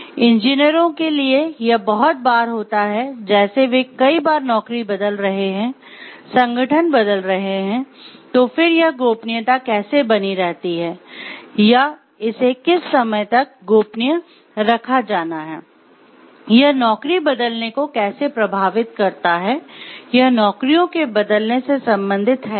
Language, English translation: Hindi, For engineers it is very frequent like they are changing jobs, organisations very often and how does then this confidentiality be maintained, or till what time it should be maintained, and how does it, and how does it affect the changing of job or is it related to the changing of jobs or not